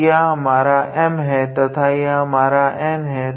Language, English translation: Hindi, So, this is our M and this is our N